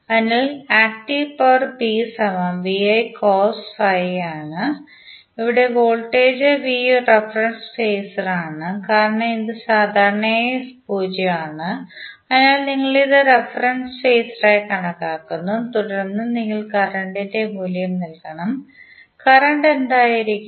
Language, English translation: Malayalam, So, active power is nothing but VI cos phi, here voltage V is a difference phasor because it is generally 0 so we are considering it as a reference phasor and then you have to simply put the value of current, current would be what